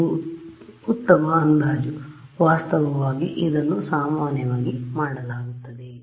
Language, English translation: Kannada, It is a good approximation, in fact it is commonly done ok